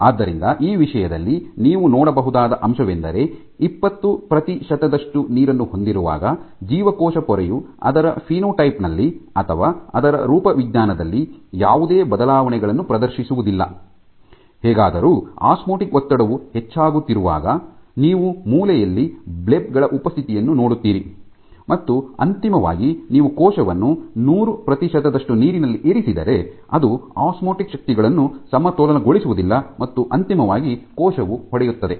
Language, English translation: Kannada, So, on when you have 20 percent water in this whole thing, what you can see is the membrane of the cell does not exhibit any obvious changes in it is phenotype or in it is morphology; however, when the osmotic stress keeps on increasing you see the presence of these structures at the corner these are called blebs and eventually if you put the cell in 100 percent water, it cannot balance osmotic forces eventually the cell will burst ok